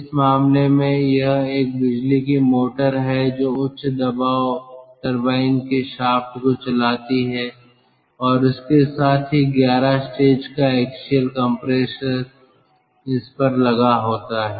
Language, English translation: Hindi, in this case it is an electric motor which drives the shaft of the high pressure turbine and along with this the eleven stage axial compressor mounted on it